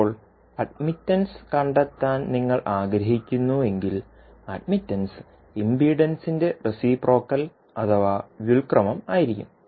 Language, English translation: Malayalam, Now, if you want to find out the admittance, admittance would be the reciprocal of the impedance